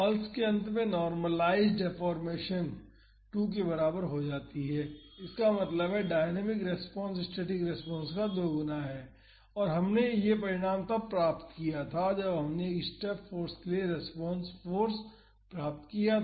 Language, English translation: Hindi, At the end of the pulse the normalized deformation becomes equal to 2; that means the dynamic response is twice that of the static response and we had derived this result when we derived the response force for a step force